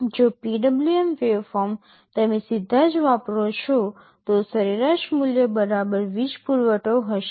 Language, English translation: Gujarati, If the PWM waveform you are applying directly, then the average value will be the equivalent power supply